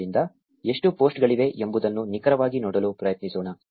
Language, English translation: Kannada, So, let us try to see exactly how many posts are there